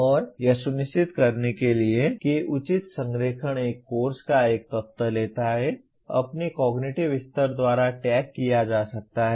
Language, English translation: Hindi, And to ensure that the proper alignment takes place an element of a course can be tagged by its cognitive level